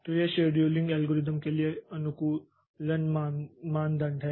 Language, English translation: Hindi, So, these are the optimization criteria for the scheduling algorithms